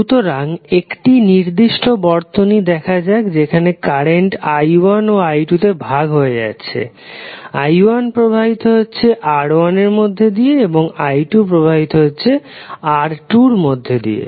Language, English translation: Bengali, So now let us see this particular circuit where current is being divided into i1 and i2, i1 is flowing through R1 and i2 is flowing through R2